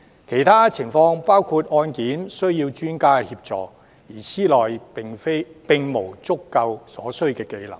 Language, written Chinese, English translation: Cantonese, 其他適用情況包括，案件需要專家協助，而司內並無足夠所需技能。, Other applicable conditions include the necessity to seek expert assistance while the requisite skill is not adequately available within the Department